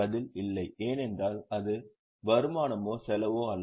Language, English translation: Tamil, Answer is no because it is neither income nor expense